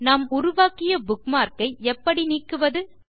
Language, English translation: Tamil, And how do we delete a bookmark we created